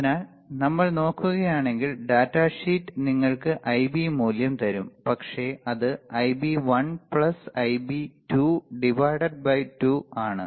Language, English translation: Malayalam, So, the data sheet when we say it will show you the Ib value, which is nothing, but Ib1 plus Ib2 by 2 right